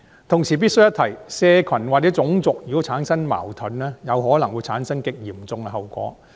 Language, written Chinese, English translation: Cantonese, 同時，我必須一提，社群或種族如果產生矛盾，有可能會產生極嚴重的後果。, At the same time I must bring up one point . Any conflicts among social groups or races may produce very serious consequence